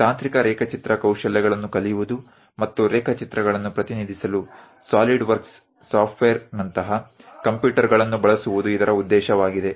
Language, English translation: Kannada, The mission is to learn technical drawing skills and also use computers for example, a SOLIDWORKS software to represent drawings